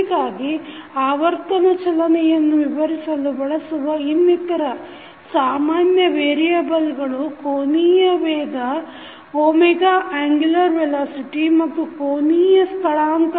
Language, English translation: Kannada, So, other variables which we generally use to describe the motion of rotation are angular velocity omega and angular displacement theta